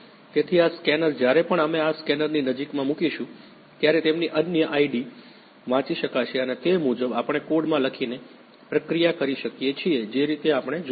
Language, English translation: Gujarati, So, this scanner whenever we will place these in the close proximity of this scanner, the data their unique IDs will be read and accordingly we can process it by writing the code in whichever way we want